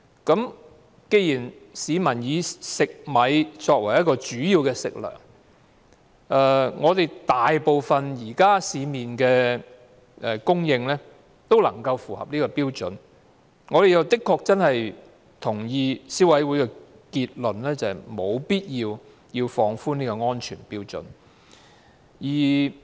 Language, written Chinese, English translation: Cantonese, 既然市民以食米作為主要食糧，而市面上供應的食米大部分也符合標準，我們確實認同消委會的結論，就是沒有必要放寬這個安全標準。, Since rice is a major component of the diet of the public and most of the rice supplied in the market is compliant with the standard we truly agree with the Consumer Councils conclusion that the relaxation of the safety standard is unnecessary